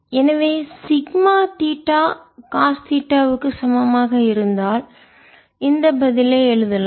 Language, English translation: Tamil, so if sigma theta is equal to cos theta, you can write this answer